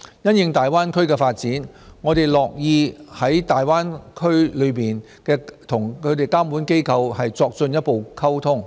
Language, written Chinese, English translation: Cantonese, 因應大灣區的發展，我們樂於與區內的監管機構作進一步溝通。, In response to the development of the Greater Bay Area we stand ready to communicate further with the regulatory authorities of the Greater Bay Area